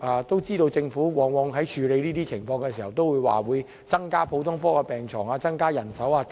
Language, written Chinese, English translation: Cantonese, 當然，政府往往在處理這些情況的時候都會表示，會增加普通科病床、增加人手等。, When dealing with these situations the Government of course says that it will increase the number of general hospital beds and manpower